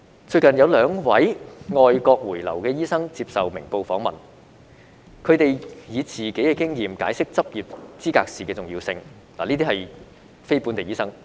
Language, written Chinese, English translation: Cantonese, 最近，有兩位外國回流的醫生接受《明報》訪問，他們以自己的經驗解釋執業資格試的重要性，他們均是非本地醫生。, In a recent interview with Ming Pao Daily News two doctors both NLTDs who had returned from foreign countries explained the importance of the Licensing Examination from their own experience